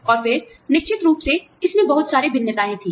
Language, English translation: Hindi, And then, you know, of course, there were very variations of this